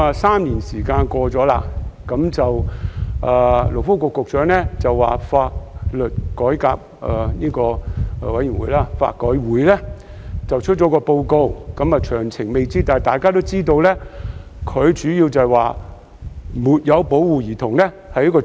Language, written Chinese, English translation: Cantonese, 三年已經過去，勞工及福利局局長表示香港法律改革委員會即將發表一份報告，雖然未有詳情，但主要會提出"沒有保護兒童"屬於犯罪。, Three years have passed the Secretary for Labour and Welfare now says that the Law Reform Commission of Hong Kong LRC will soon release a report . Although the details of the report are yet to be known its key recommendation will be the introduction of an offence of failure to protect a child